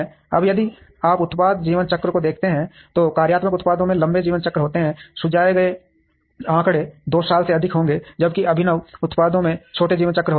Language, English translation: Hindi, Now, if you look at product life cycles, functional products have longer life cycles, suggested figure would be greater than 2 years, while innovative products have shorter life cycles